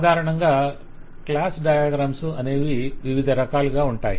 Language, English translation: Telugu, Typically, class diagrams are of different kinds